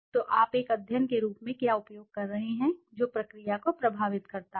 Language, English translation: Hindi, So what are you using as a study that influences the process